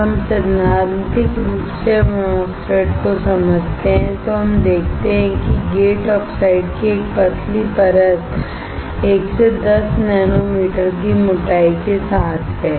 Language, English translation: Hindi, When we theoretically understand MOSFET, we see there is a thin layer of gate oxide with thickness of 1 to 10 nanometer